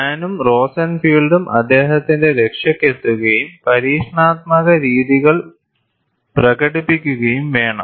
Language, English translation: Malayalam, Hahn and Rosenfield had to come to his rescue and demonstrated the experimental patterns